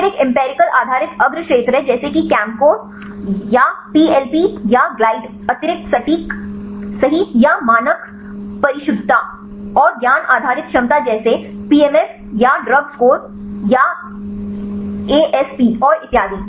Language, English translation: Hindi, Then there is a empirical based fore field like the ChemScore or the PLP or the glide extra precision right or standard precision, and knowledge based potential like the PMF or DrugScore or asp and so on